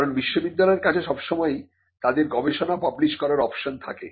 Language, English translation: Bengali, Because university is always having an option of publishing their research